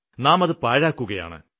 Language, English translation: Malayalam, We are wasting them